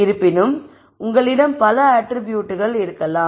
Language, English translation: Tamil, So, you can think of many such attributes